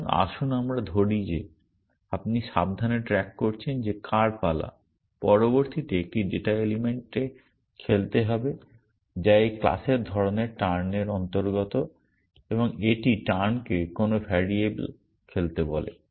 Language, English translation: Bengali, So, let us say that you are carefully keeping track of whose turn it is to play next into one data element which is belongs to this class kind type turn and it says turn to play of some variable